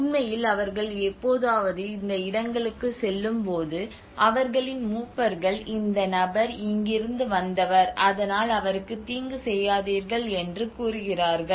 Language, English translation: Tamil, So in fact when they ever happen to go to these places their elders speak do not mind this person he is from here do not harm him